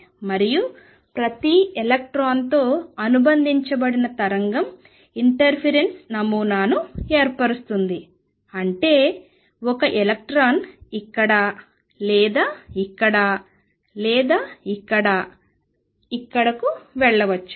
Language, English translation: Telugu, And it is the wave associated with each electron that form a interface pattern is just that one electron can go either here or here or here or here